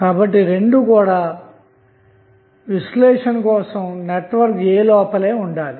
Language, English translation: Telugu, So, both should be inside the network A for analysis